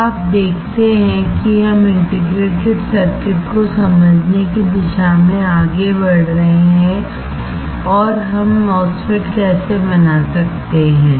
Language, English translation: Hindi, Now, you see we are moving towards understanding the integrated circuits and how we can fabricate a MOSFET